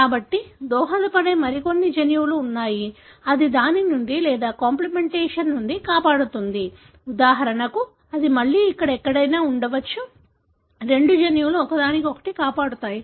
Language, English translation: Telugu, So, there is some other gene that contribute, which rescues from that or complementation, for example, that again, it could be somewhere here, two genes rescuing each other